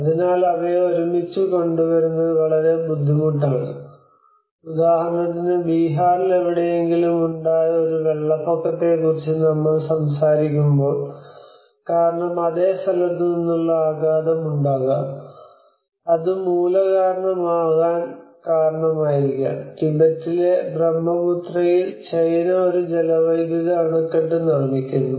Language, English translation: Malayalam, So it is very difficult to bring them together, for instance, when we talk about a flood impact in somewhere in Bihar it may not necessarily that the impact the cause is from the same place it might have been the cause the root cause might be in some other country which is in China like for instance of China builds a hydropower dam on Brahmaputra in Tibet